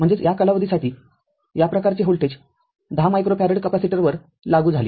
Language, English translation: Marathi, I mean this kind of voltage applied to 10 micro farad capacitor for this time duration